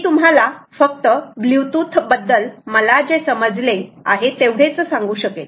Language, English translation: Marathi, i just give you my understanding of several things with respect to bluetooth itself